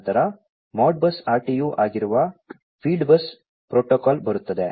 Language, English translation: Kannada, Then, comes the field bus protocol which is the Modbus RTU